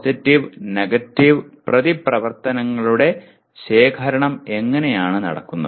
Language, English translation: Malayalam, And how does this accumulation of positive and negative reactions take place